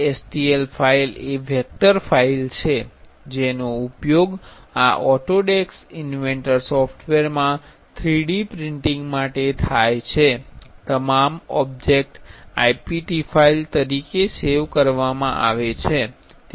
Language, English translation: Gujarati, Stl file is a vector file which is used for 3D printing in this Autodesk inventor software all objects are saved as ipt file